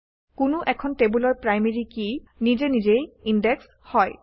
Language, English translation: Assamese, The primary key of a table is automatically indexed